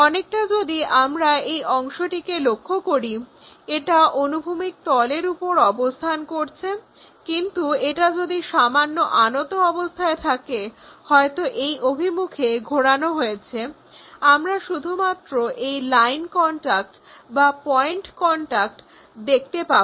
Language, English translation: Bengali, Something like this part if we are looking this is resting on horizontal plane, but if it is slightly inclined maybe rotate it in that direction only this line contact or point contact we have it